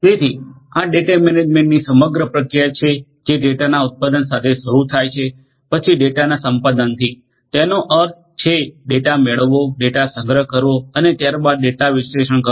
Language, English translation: Gujarati, So, this is the overall process of data management it starts with the generation of the data, then acquisition of the data; that means, getting the data, storing the data and there after analysing the data